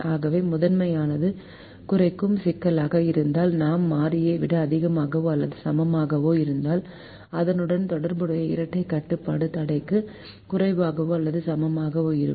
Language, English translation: Tamil, so if the primal is a minimization problem, if i have a greater than or equal to variable, then the corresponding dual constraint will be less than or equal to constraint